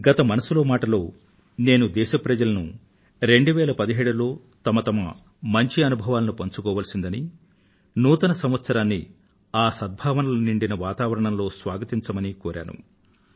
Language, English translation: Telugu, During the previous episode of Mann Ki Baat, I had appealed to the countrymen to share their positive moments of 2017 and to welcome 2018 in a positive atmosphere